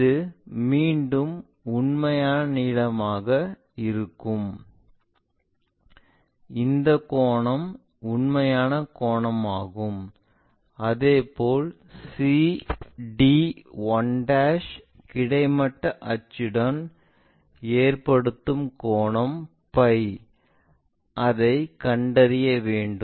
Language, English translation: Tamil, So, this again becomes true length and this angle is the true angle similarly the line c d 1' with horizontal axis whatever angle its making true angle phi we will find